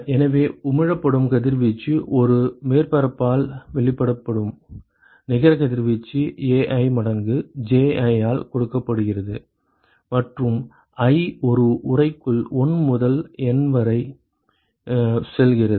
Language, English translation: Tamil, So, the radiation emitted, the net radiation that is emitted by a surface is given by Ai times Ji right and i goes from 1 to N in an enclosure